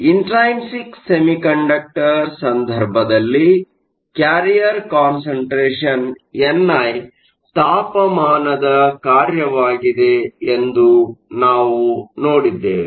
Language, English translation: Kannada, We also saw that in the case of an intrinsic semiconductor the carrier concentration n i is a function of temperature